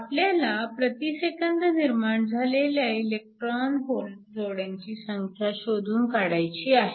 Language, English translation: Marathi, We need to calculate the number of electron hole pairs per second